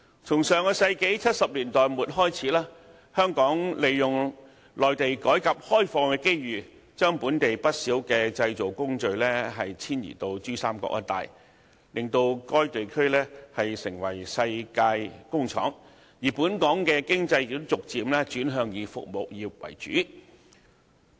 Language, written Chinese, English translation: Cantonese, 從上世紀70年代末開始，香港趁着內地改革開放的機遇，將本地不少製造工序遷移到珠三角一帶，令該地區成為世界工廠，而本港的經濟亦逐漸轉向以服務業為主。, Since the 1970s of the last century many Hong Kong manufacturers had taken advantage of the reform and opening up of the Mainland to relocate a large number of manufacturing processes to the Pearl River Delta Region turning the region into the factory of the world . Since then the focus of Hong Kongs economy has gradually shifted to service industries